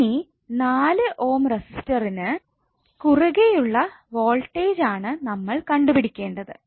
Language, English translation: Malayalam, Now you need to find out the voltage across 4 Ohm resistor